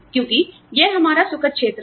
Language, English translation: Hindi, Because, it is our comfort zone